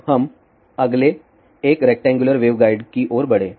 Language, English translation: Hindi, Now, let us move to the next one rectangular waveguide